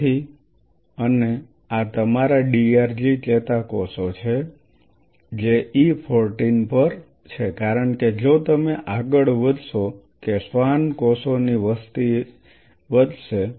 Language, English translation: Gujarati, So, and these are your DRG neurons which are there at E 14 because if you go further that the population of the Schwann cells are going to go up